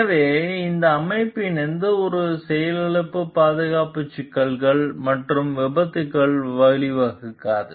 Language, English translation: Tamil, So, that the any malfunction of that system does not lead to safety issues and accidents